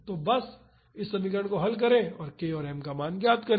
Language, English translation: Hindi, So, just solve this equation and find k and m